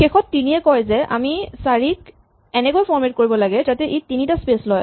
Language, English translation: Assamese, Finally, 3 says that we must format 4 so that it takes three spaces